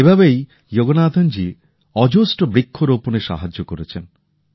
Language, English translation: Bengali, In this way, Yoganathanji has got planted of innumerable trees